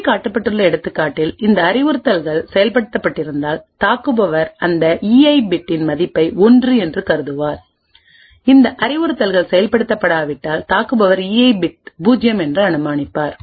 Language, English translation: Tamil, Example over here, if these instructions have executed then the attacker would infer a value of 1 for that E I bit of key, if these instructions have not been executed then the attacker will infer that the E I bit is 0